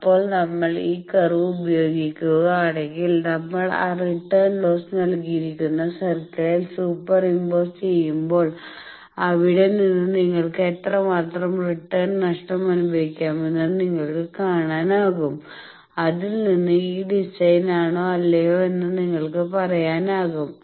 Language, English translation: Malayalam, So, if we this curve if we super impose on that return loss given circle from there you can see how much maximum return loss you can suffer and from that you can say that whether this design is or not